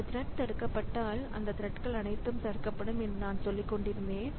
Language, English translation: Tamil, So, that is the thing that I was telling that if this thread gets blocked, then all these threads they will get blocked